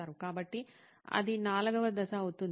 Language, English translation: Telugu, So, that will be step 4